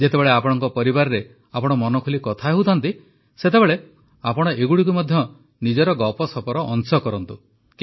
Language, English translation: Odia, When your family is involved in close conversations, you should also make these a part of your chat